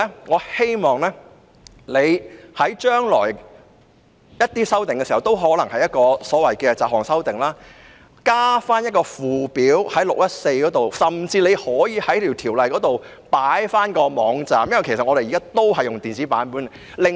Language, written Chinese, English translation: Cantonese, 我希望她將來再作修訂時，例如再次提出雜項修訂，可以在第614章加入附表，甚至在條文中加入有關的網站，因為大家現時都是使用電子版本的。, I hope that she will add a schedule to Cap . 614 when she later proposes to amend say miscellaneous provisions . Given the widespread use of electronic copies today she may even list those websites in the relevant clauses